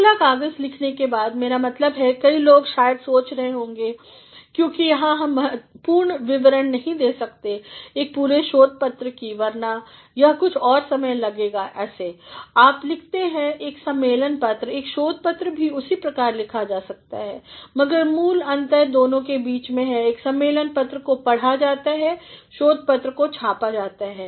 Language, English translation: Hindi, Next after having written a paper, I mean many people might be thinking, because here we cannot give a complete description of an entire research paper otherwise it will take some more time like, you write a conference paper, a research paper also can be written in the same manner, but the basic difference between the two is whereas, a conference paper is to be read, research paper is to be published